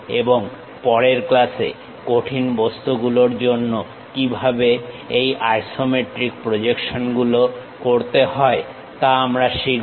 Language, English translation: Bengali, And, in the next class, we will learn about how to do these isometric projections for solid objects